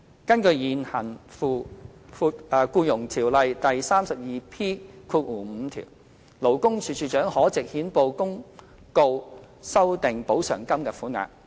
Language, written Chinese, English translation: Cantonese, 根據現行《僱傭條例》第 32P5 條，勞工處處長可藉憲報公告修訂補償金的款額。, Under section 32P5 of the Employment Ordinance the Commissioner may amend the amount of compensation by notice in the Gazette